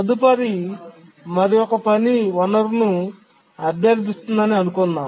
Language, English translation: Telugu, And let's say next time another task requests a resource